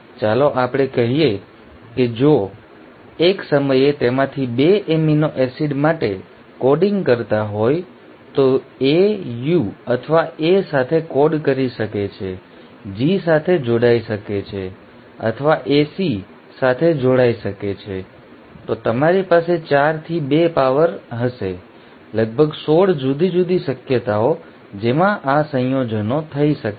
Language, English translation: Gujarati, Let us say if 2 of them at a time are coding for one amino acid, A can code with U or A can combine with G, or A can combine with C, then you will have 4 to the power 2, about 16 different possibilities in which these combinations can happen